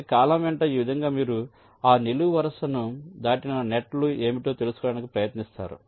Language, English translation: Telugu, ok, so in this way, along every column you try to find out which are the nets which are crossing that column